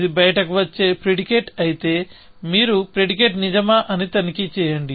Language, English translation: Telugu, If it is a predicate that comes out, then you check, whether the predicate is true